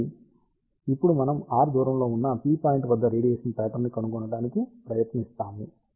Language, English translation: Telugu, So, let us see now we are trying to find the radiation pattern at a point p which is at a distance r